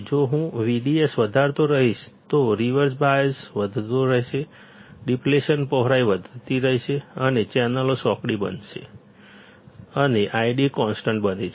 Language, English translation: Gujarati, If I keep on increasing, then the reverse bias will keep on increasing, width of depletion will keep on increasing and channels becomes narrower and I D becomes constant